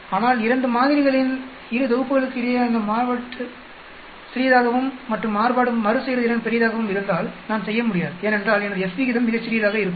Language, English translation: Tamil, But if the variations are between 2 sets of samples is small and the variations repeatability is large, then I will not be able to do because my F ratio will be come out very small